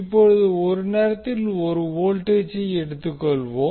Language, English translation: Tamil, Now let us take one voltage at a time